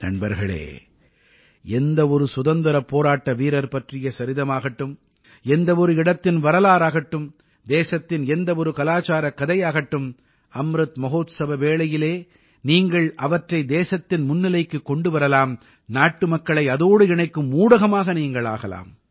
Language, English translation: Tamil, Friends, be it the struggle saga of a freedom fighter; be it the history of a place or any cultural story from the country, you can bring it to the fore during Amrit Mahotsav; you can become a means to connect the countrymen with it